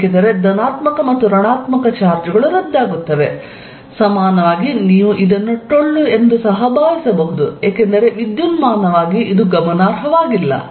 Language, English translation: Kannada, Because, positive and negative charges cancel, equivalently you can also think of this as being hollow, because electrically it does not matter